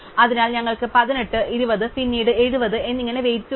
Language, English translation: Malayalam, So, we have the weights in 18, 20, then finally 70